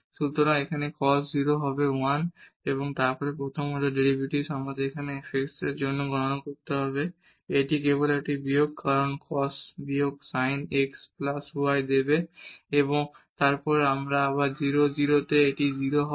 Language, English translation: Bengali, So, a cos 0 will be 1 and then the first order derivatives we have to compute for this f x simply it is a minus because this cos will give minus sin x plus y and then again at 0 0 this will be 0